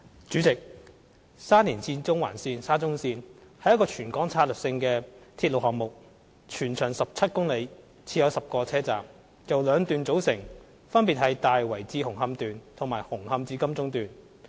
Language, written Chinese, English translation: Cantonese, 主席，沙田至中環線是一個全港策略性的鐵路項目，全長17公里，設有10個車站，由兩段組成，分別是"大圍至紅磡段"和"紅磡至金鐘段"。, President the Shatin to Central Link SCL is a territory - wide strategic railway project with a total length of 17 km . It consists of 10 stations and two sections namely the Tai Wai to Hung Hom Section and the Hung Hom to Admiralty Section